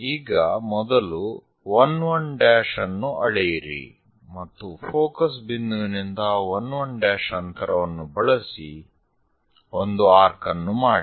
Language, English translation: Kannada, So, first, measure 1 1 dash, and from focal point use, a distance of 1 1 dash make an arc